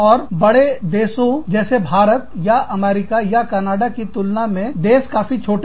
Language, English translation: Hindi, And, the countries are small, as compared to larger countries like, India, or the US, or Canada